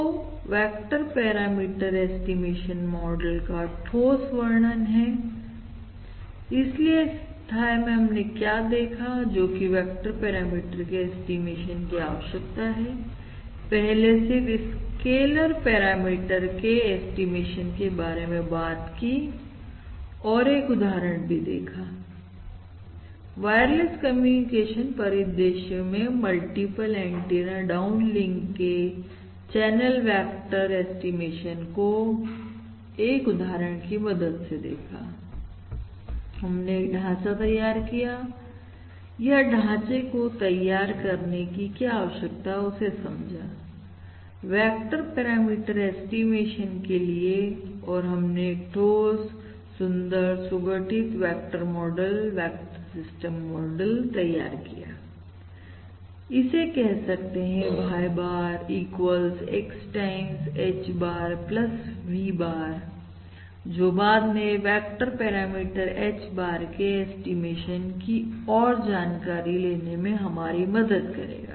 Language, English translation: Hindi, So this is ah a compact representation of this vector parameter estimation model and therefore what we have done in this module is simply to motivate the necessity, the need for the estimation of a vector parameter, because we have previously we have only considered the estimation of a scaler parameter and also, through an example, basically considering the example of a channel vector estimation for a multiple antenna downlink wireless communication scenario, we have built up the framework and motivated the necessity or illustrated the need to develop a framework for vector parameter estimation and we have also developed this succinct, this elegant compact vector model vector system model, we would also call it which is: Y bar equals X times H bar plus V bar, which we are going to subsequently explore towards the estimation of this vector parameter, H bar